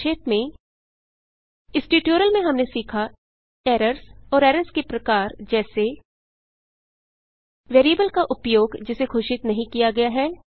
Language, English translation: Hindi, In this tutorial we have learnt, errors and types of errors such as Use of variable that has not been declared